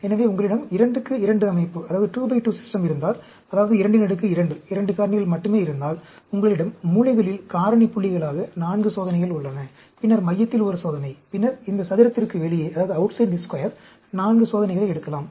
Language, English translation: Tamil, So, suppose if you have a 2 by 2 system, that is 2 raised to the power 2, 2 factors only, you have 4 experiments at the corners as the factorial points; then, one experiment in the center, and then, you pickup 4 experiments outside this square